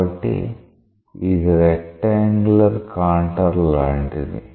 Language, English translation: Telugu, So, it is like a rectangular contour